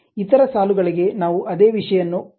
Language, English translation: Kannada, Let us use the same thing for other line